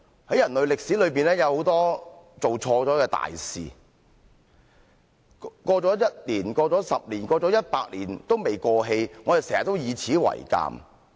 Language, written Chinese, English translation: Cantonese, 在人類歷史裏面，有很多做錯的大事，一年過去 ，10 年過去 ，100 年過去也沒有過氣，我們經常以此為鑒。, Over the course of history many major mistakes never faded even after a year 10 years or even 100 years . We always bear this in mind